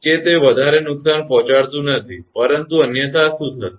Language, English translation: Gujarati, That it does not cause much damage, but otherwise what will happen